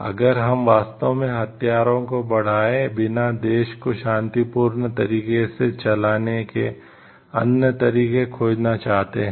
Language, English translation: Hindi, We can if we really want to find out other ways of running the country in a peaceful way without raising the weapons